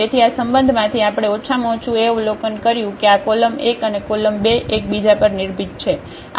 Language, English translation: Gujarati, So, what we observed at least from this relation that this column 1 and column 2 are dependent